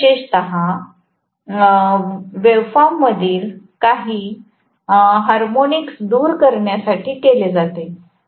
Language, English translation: Marathi, This is done specifically to eliminate some of the harmonics in the waveform